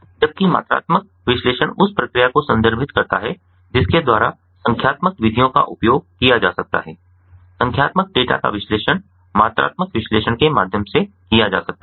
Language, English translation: Hindi, so qualitative analysis, where, as quantitative data, quantitative analysis refers to the process by which numerical methods can be used, numerical data can be analyzed through quantitative analysis